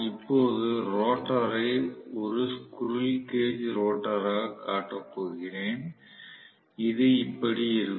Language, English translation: Tamil, Now, I am going to show the rotor as a squirrel cage rotor which is somewhat like this